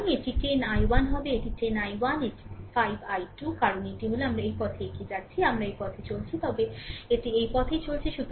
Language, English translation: Bengali, So, it will be 10 i 1 it is 10 i 1 minus this 5 i 2, because it is it is we are moving this way we are moving this way, but it is going this way